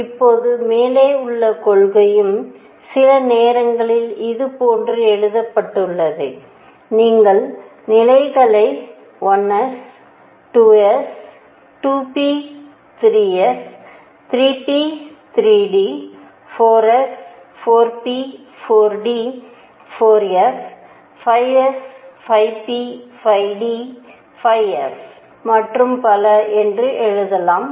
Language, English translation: Tamil, Now the above principle at times is also written like this, you write the levels 1 s, 2 s, 2 p, 3 s, 3 p, 3 d, 4 s, 4 p, 4 d, 4 f, 5 s, 5 p, 5 d, 5 f and so on